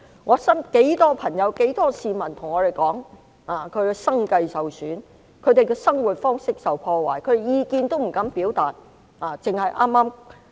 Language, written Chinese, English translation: Cantonese, 我身邊很多朋友、很多市民跟我說，他們的生計受損，生活方式受破壞，他們不敢表達意見。, Many friends and citizens around me tell me that their livelihood has been damaged and their way of life has been ruined . They dare not express their opinions